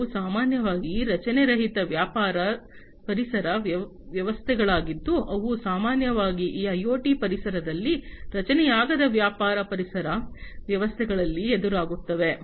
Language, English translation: Kannada, They are typically unstructured business ecosystems that are typically encountered in these IoT environments, unstructured business ecosystems